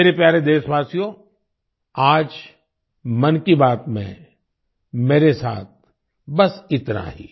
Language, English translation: Hindi, My dear countrymen, that's all with me today in 'Mann Ki Baat'